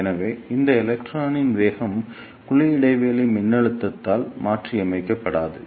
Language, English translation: Tamil, So, the velocity of this electron will not be modulated by the cavity gap voltage